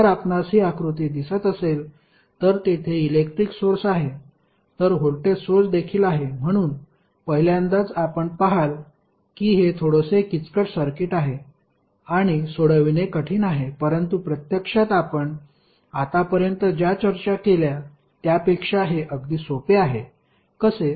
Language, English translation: Marathi, If you see this figure where current source is there, voltage source is also there so at first instant you see that this is a little bit complicated circuit and difficult to solve but actually it is much easier than what we discussed till now, how